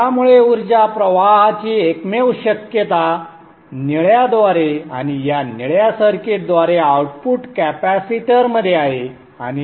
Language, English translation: Marathi, So therefore, the only possibility of energy flow is through the blue and through this blue circuit into the output capacitors and are not